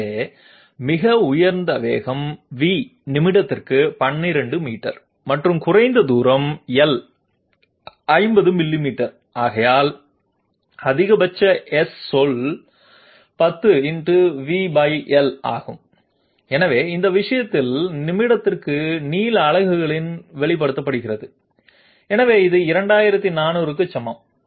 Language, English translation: Tamil, So the highest velocity is 12 meters per minute and lowest distance is 50 millimeters therefore, maximum S word is 10 into V by L, so this thing is expressed in length units per minute, so this is equal to 2400